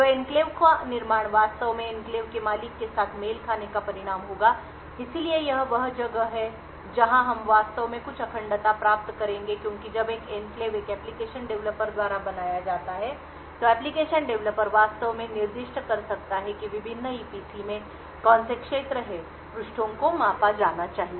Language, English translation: Hindi, So construction of the enclave would actually result in a matching with the enclave owner so this is where we actually would obtain some level of integrity because when an enclave gets created by an application developer the application developer could actually specify which regions in the various EPC pages should be measured